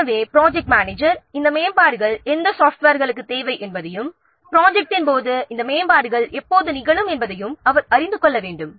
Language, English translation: Tamil, So the project manager, he needs to know which pieces of software need these upgrades and when these upgrades will occur during the project